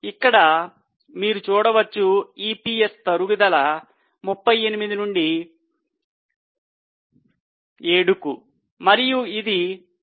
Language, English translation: Telugu, So, here you can see there was a fall in EPS from 38 to 7 and then it has increased now to 11